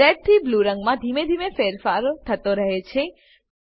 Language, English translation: Gujarati, There is gradual change in the color from red to blue